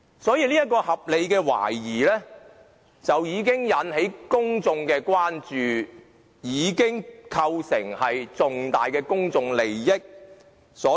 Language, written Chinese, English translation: Cantonese, 因此，這項合理的懷疑已經引起公眾的關注，構成重大公眾利益。, This reasonable doubt has already caused public concern and come to involve significant public interest